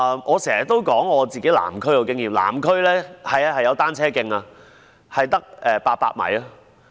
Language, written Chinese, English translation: Cantonese, 我經常提及我所屬的南區的經驗，南區有單車徑，但只有800米。, I often refer to the experience in my district the Southern District . There is a cycle track but it is only 800 m long